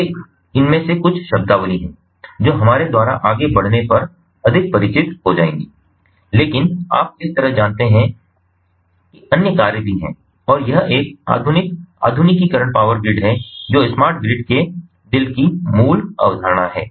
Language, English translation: Hindi, so these are some of this ah terminologies that will become more familiar as we proceed through, but you know so like this, there are other functionalities as well, and it is a mod ah modernized power grid that that is the core concept, the heart of smart grid